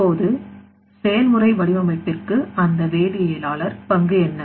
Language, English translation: Tamil, Now, what is the role of that chemist for process design